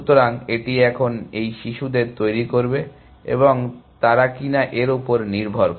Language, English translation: Bengali, So, it will generate these children now, and depending on whether they are